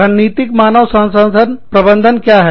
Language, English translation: Hindi, What is strategic human resource management